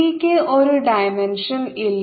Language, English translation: Malayalam, the c has no dimension